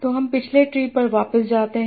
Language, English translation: Hindi, So let us just go back to the previous tree